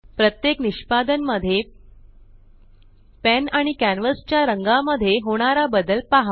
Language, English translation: Marathi, Note the change in the color of the pen and the canvas on each execution